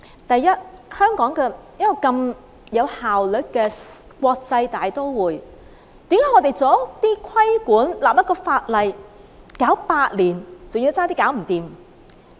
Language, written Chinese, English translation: Cantonese, 第一，香港是一個如此有效率的國際大都會，為何我們作出規管和立例，卻要用上8年時間，還要差點做不成？, First Hong Kong is a highly efficient international metropolis . How come it takes us eight years to regulate and legislate on this matter not to mention that we have almost failed to do it?